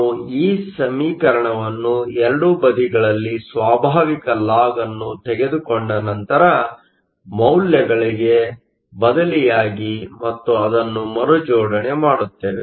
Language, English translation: Kannada, We get this expression by taking natural lawn on both sides and then substituting for these values and rearrange it